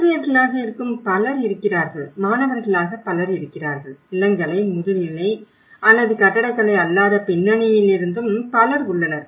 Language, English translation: Tamil, Whether there will be many people who are faculty, there are many people who are students, there are many people from bachelors, masters or from non architectural backgrounds as well